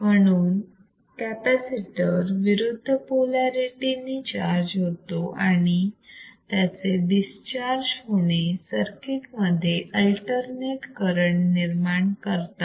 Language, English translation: Marathi, So, what will happen thusThus the capacitor charges withit alternate polarities and its discharge is producesing alternate current in theat circuit